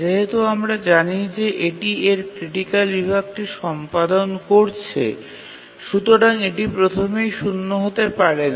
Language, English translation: Bengali, And we know that when it is executing its critical section, then it cannot be preempted